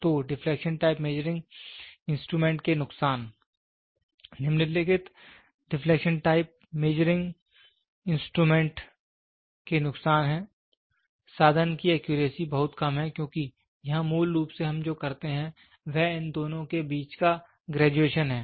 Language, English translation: Hindi, So, the disadvantageous of deflection type measuring instrument, the following are the disadvantageous of the deflection type instrument, the accuracy of the instrument is very low because here basically what we do is it is the graduation between these two